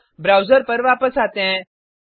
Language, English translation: Hindi, Let us come back to the browser